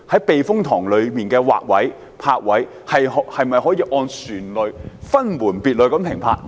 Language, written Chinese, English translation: Cantonese, 避風塘內的泊位及劃位，是否可以按照船隻種類作安排，讓船隻分門別類地停泊？, Is it possible to arrange and designate different berthing spaces for different classes of vessels so that they can berth in their relevant areas?